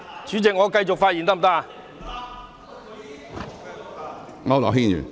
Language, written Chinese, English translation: Cantonese, 主席，我可以繼續發言嗎？, President can I carry on with my speech?